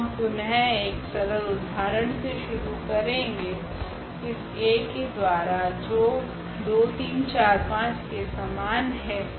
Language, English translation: Hindi, So, again very simple example we have started with this A is equal to 2 4 and 3 5